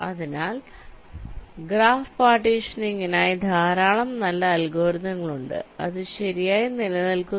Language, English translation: Malayalam, so there are many good algorithms for graph partitioning which exists, right